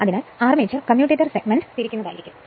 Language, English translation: Malayalam, So, when armature will rotate the commutator segment